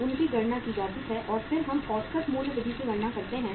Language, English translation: Hindi, They are calculated and then we calculate the average price method